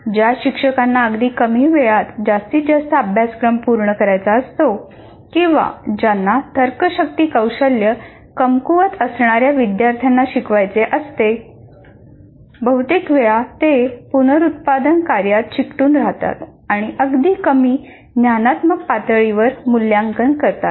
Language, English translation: Marathi, First of all, teachers who must cover a great deal of material in little time or who teach students whose reasoning skills are weak, often stick to reproduction tasks and even have assessments at lower cognitive levels